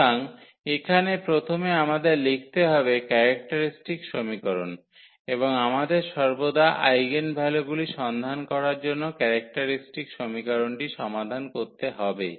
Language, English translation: Bengali, So, here first we have to write down the characteristic equation and we need to solve the characteristic equation always to find the eigenvalues